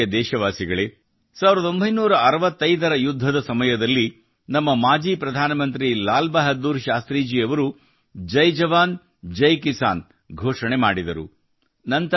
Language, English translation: Kannada, My dear countrymen, during the 1965 war, our former Prime Minister Lal Bahadur Shastri had given the slogan of Jai Jawan, Jai Kisan